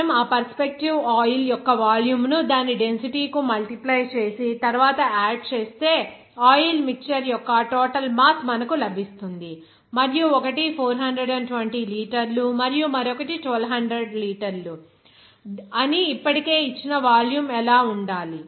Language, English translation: Telugu, If you multiply that volume of that perspective oil to its density and then add it, then you will get the total mass of that oil mixture and what should be the volume already given that one is 420 liters and other is 1200 liters